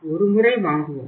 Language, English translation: Tamil, We buy once in a while